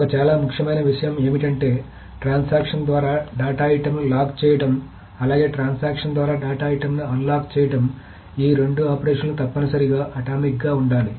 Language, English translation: Telugu, One very important thing is that the operation of locking data item by a transaction as well as the operation of unlocking the data item by a transaction, these two operations must themselves be atomic